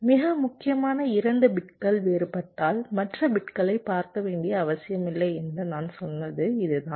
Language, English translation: Tamil, if the two most significant bits are different, then there is no need to look at the other bits